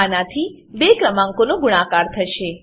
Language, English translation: Gujarati, This will perform multiplication of two numbers